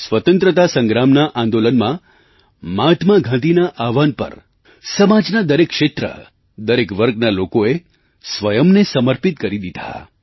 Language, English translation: Gujarati, During the Freedom Struggle people from all sections and all regions dedicated themselves at Mahatma Gandhi's call